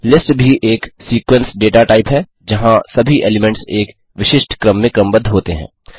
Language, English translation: Hindi, List is also a sequence data type where all the elements are arranged in a specific order